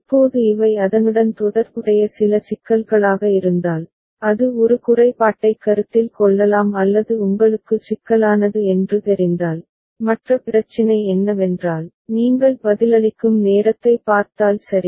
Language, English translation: Tamil, Now if these are certain issues associated with it which one can consider disadvantage or you know problematic, the other issue is that if you look at the response time ok